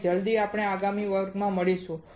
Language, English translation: Gujarati, And as soon as we meet in the next class